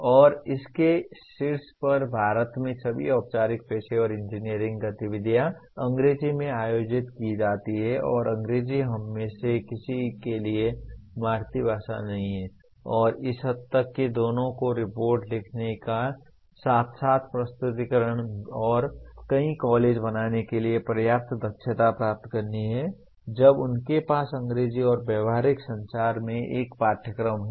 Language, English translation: Hindi, And on top of that the all formal professional engineering activities in India are conducted in English and English is not mother tongue for any one of us and to that extent one has to get adequate proficiency for both writing reports as well as making presentations and many colleges as of now they do have a course in English and Professional Communication